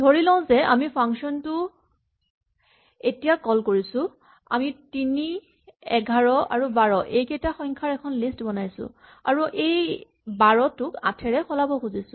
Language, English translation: Assamese, Let us assume we call it now, so what we use do is we set up a list of numbers 3, 11, 12 and then we want to replace this 12 say by 8